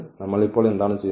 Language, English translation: Malayalam, And what we do now